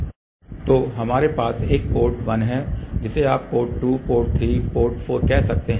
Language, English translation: Hindi, So, here we have a port 1 you can say port 2, port 3, port 4